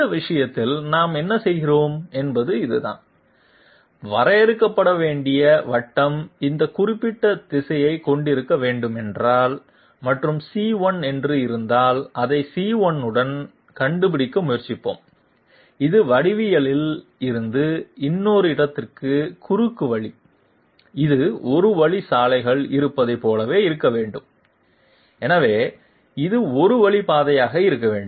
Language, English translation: Tamil, What we do in this case is this that if the circle to be defined is to have this particular direction and if it is say C1, we will try to find out along C1 the shortcut from one geometry to another and it will have to be just like we have one way roads, so it has to be a one way route